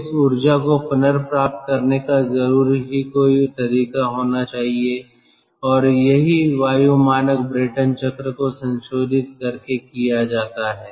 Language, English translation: Hindi, so once we appreciate this, so there should be some way of recovering this energy, and that is what is done by modifying the air standard brayton cycle